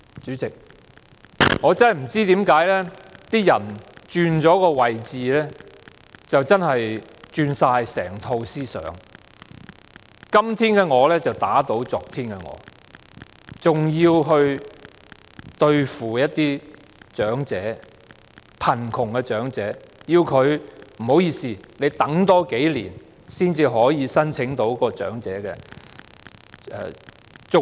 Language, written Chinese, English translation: Cantonese, 主席，我真的不知道為何有人在轉了位置後，整套思想也轉變了，今天的我打倒昨天的我，還要想辦法對付貧窮的長者，要他們多等數年才可以申請長者綜援。, Chairman I fail to understand why it is possible for a person to completely change his mindset and go back on his own words after he has taken up a new position and try in every way to target at elderly in poverty so that they will have to wait a few more years before they can apply for elderly CSSA